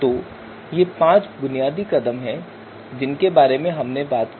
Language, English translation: Hindi, So these are five basic steps that we talked about